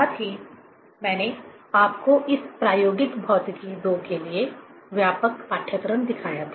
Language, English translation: Hindi, Also, I have shown you the broad syllabus for this experimental physics II